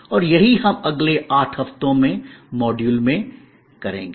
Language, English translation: Hindi, And that is what we will do over number of modules over the next 8 weeks